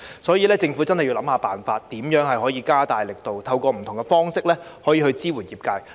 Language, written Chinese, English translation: Cantonese, 所以，政府要想辦法，思考如何加大力度，透過不同方式支援業界。, Therefore the Government must think about how efforts can be stepped up to support the industries in different ways